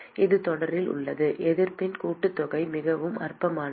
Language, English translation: Tamil, It is in series, just sum of the resistances very trivial